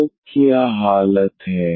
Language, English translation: Hindi, So, what is the condition